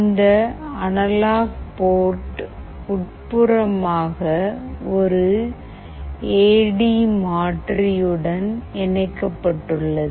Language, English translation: Tamil, This analog port internally is connected to an AD converter